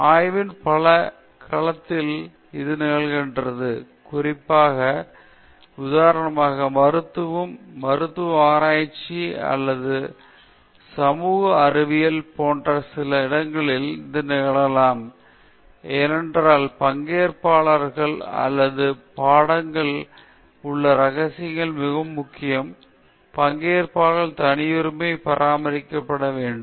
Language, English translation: Tamil, In many domains of research this happens, because particularly, for instance, in certain domains like medicine, a medical research or even in social sciences this can happen, because confidentiality of participants or subjects are very important; privacy of participants have to be maintained